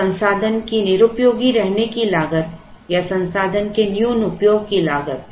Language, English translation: Hindi, So, cost of idleness of resource or underutilization of resource